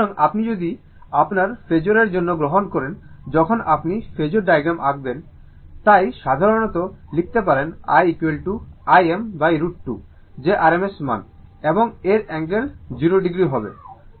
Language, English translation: Bengali, So, if you take in terms of your, what you call in the phasor that, when you draw the phasor diagram, so generally we can write i is equal to I m by root 2 that rms value, and its angle will be 0 degree